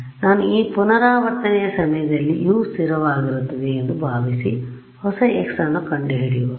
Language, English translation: Kannada, So, what I do is that I assume U to be constant at that iteration find out the new x right